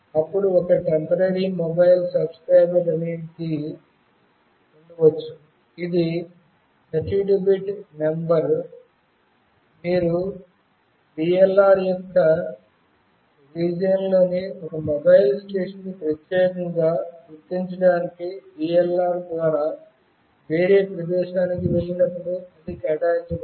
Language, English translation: Telugu, Then there could be a Temporary Mobile Subscriber Identity, which is a 32 bit number that is assigned when you move to some other location by VLR to uniquely identify a mobile station within a VLR’s region